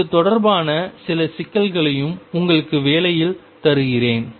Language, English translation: Tamil, I will also give you some problems related to this in your assignment